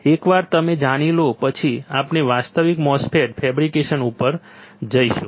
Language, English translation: Gujarati, Once you know this then we will move on to the actual MOSFET fabrication ok